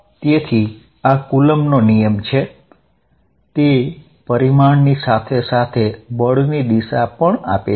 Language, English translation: Gujarati, So, these are this is the Coulomb's law, it gives the magnitude as well as the direction of the force